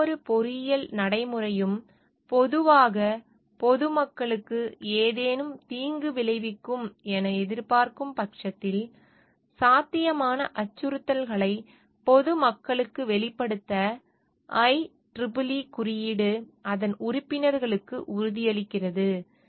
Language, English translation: Tamil, The IEEE code also commits its members to disclose possible threats to the public in case any engineering practice is expected to cause any harm to the public in general